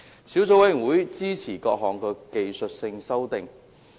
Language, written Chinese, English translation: Cantonese, 小組委員會支持各項技術性法例修訂。, The Subcommittee supports the technical legislative amendments